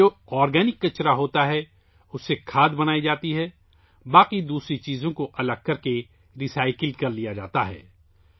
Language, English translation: Urdu, The organic waste from that is made into compost; the rest of the matter is separated and recycled